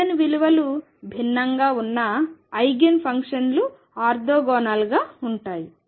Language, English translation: Telugu, The Eigenigen functions whose Eigen values are different, they are orthogonal